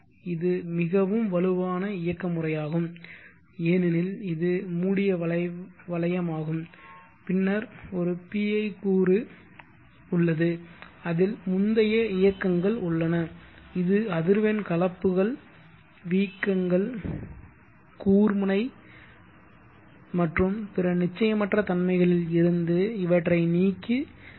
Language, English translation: Tamil, This is a very robes mechanism because it is close loop and then there is a pi component there is history in it which will filtering effect on harmonings, surges, spikes and such than uncertainties